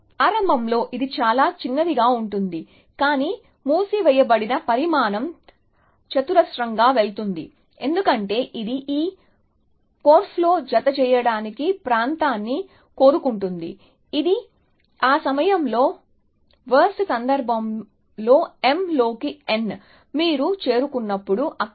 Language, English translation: Telugu, Initially of course, it will be very small, but the size of closed is going quadractically, because that is would like the area, which is enclosed in this korf, which is m into n in the worst case at that point, when you reach there